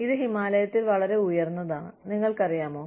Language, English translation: Malayalam, It is up in the Himalayas